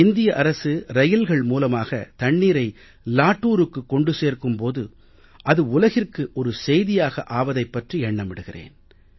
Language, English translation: Tamil, When the government used railways to transport water to Latur, it became news for the world